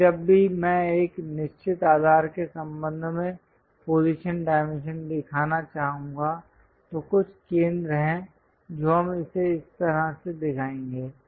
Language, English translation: Hindi, But whenever I would like to show position dimension with respect to certain base, there is some center we will show it in that way